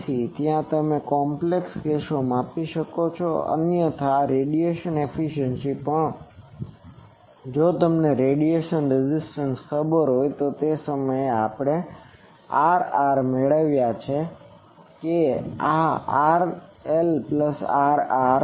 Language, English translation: Gujarati, So, there you can measure in those complicated cases otherwise these radiation efficiency also, if you know the radiation resistance then that time also we have derived this R r that this R L plus R r